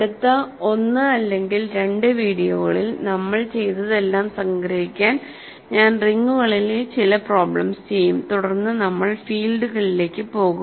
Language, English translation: Malayalam, So, in the next 1 or 2 videos I will do some problems on rings just to summarize whatever we have done and then we will go to fields